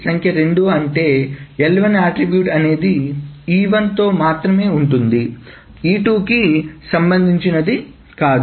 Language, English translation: Telugu, Number two is that L1 attributes, L1 concerns itself with only E1 and not E2